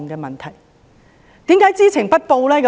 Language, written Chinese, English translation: Cantonese, 為何知情不報呢？, Why did they fail to report?